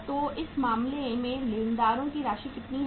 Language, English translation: Hindi, So uh in this case how much is the amount of sundry creditors